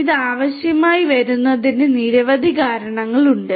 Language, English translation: Malayalam, There are number of reasons why it is required